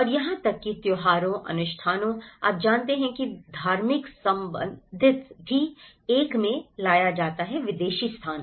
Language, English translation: Hindi, And even the festivals, the rituals, you know the religious belonging is also brought in a foreign place